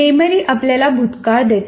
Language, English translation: Marathi, First of all, memory gives us a past